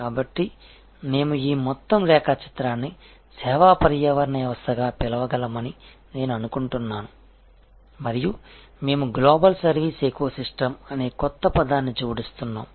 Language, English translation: Telugu, So, I think we can call this whole diagram as service ecosystem and we are adding a new word global service ecosystem